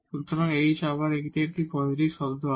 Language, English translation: Bengali, So, h is the again this will be a positive term